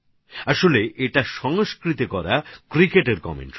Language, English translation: Bengali, Actually, this is a cricket commentary being done in Sanskrit